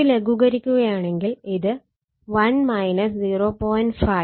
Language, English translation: Malayalam, If we just simplify, it will be 1 minus 0